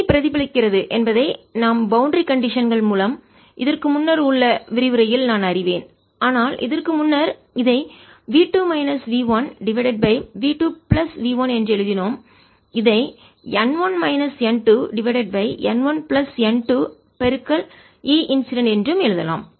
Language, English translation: Tamil, i know that e reflected, for whatever we derived in the lecture through boundary conditions is nothing, but earlier we wrote it for the string v two minus v one over v two plus v one, which could also be written as n one minus n two over n one plus n two times o e incident e incident